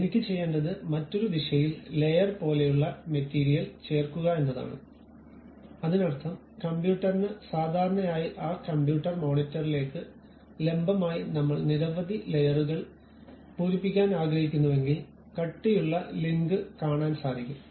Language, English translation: Malayalam, What I want to do is add material the similar kind of material like layer by layer in the other direction; that means, perpendicular to the computer normal to that computer monitor, I would like to fill many layers, so that a thick kind of link I would like to see